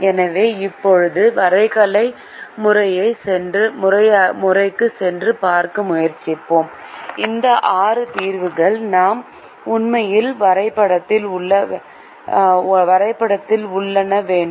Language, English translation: Tamil, so now let us go back to the graphical method and try to see where these six solutions lie in the graph that we actually have